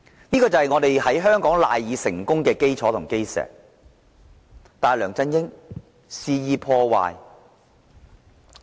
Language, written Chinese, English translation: Cantonese, 這是香港賴以成功的基石，但梁振英卻肆意破壞。, This is the cornerstone of Hong Kongs success but LEUNG Chun - ying has damaged it wantonly